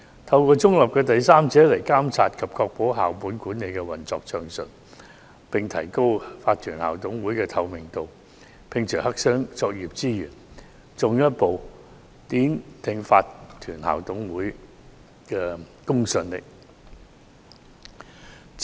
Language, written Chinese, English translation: Cantonese, 透過中立的第三者來監察及確保校本管理運作暢順，並提高法團校董會的透明度，摒除黑箱作業之嫌，進一步奠定法團校董會的公信力。, They should monitor and ensure the smooth operation of school - based management through independent third parties and enhance the transparency of IMCs to remove suspicion of black - box operations and further consolidate the credibility of IMCs